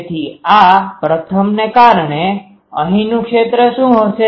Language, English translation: Gujarati, So, due to this first one what will be the field here